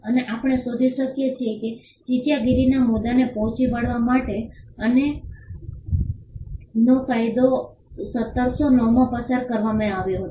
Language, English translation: Gujarati, And we find that the statute of Anne was passed in 1709 to tackle the issue of piracy